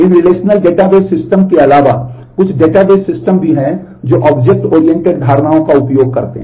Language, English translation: Hindi, Beyond these a Relational Database Systems also, there are certain database systems which use Object oriented notions in that